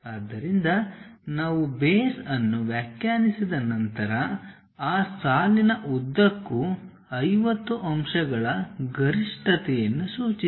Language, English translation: Kannada, So, base once we have defined, along that line up to 50 marks point the peak